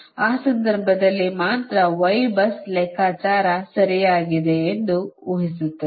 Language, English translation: Kannada, only in that case will assume that your y bus calculation is correct, right